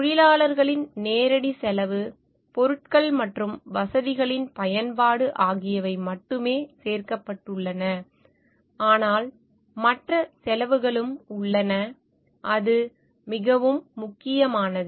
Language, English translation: Tamil, Only direct cost of labor, materials and use of facilities are included, but there are other cost also and that is very important